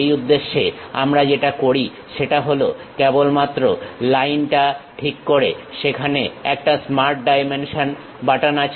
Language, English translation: Bengali, For that purpose what we do is just next to Line, there is a button Smart Dimension